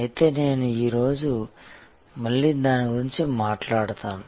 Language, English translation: Telugu, But, I will talk about it again today